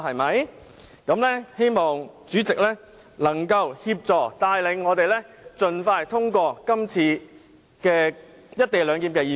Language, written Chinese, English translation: Cantonese, "我希望主席協助帶領我們盡快通過《廣深港高鐵條例草案》。, I hope the President can assist and guide us in the expeditious passage of the Guangzhou - Shenzhen - Hong Kong Express Rail Link Co - location Bill